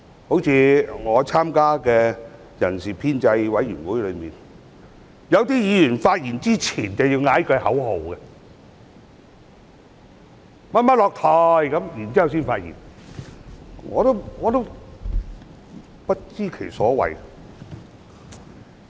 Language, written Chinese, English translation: Cantonese, 例如我參加的人事編制小組委員會，有些議員在發言前會先喊一句口號"某某下台"，然後才發言，我不知其所謂。, For instance in the Establishment Subcommittee of which I am a member some Members would chant a slogan requesting someone to step down before speaking and then went on with their speech . I do not see any point in what they were doing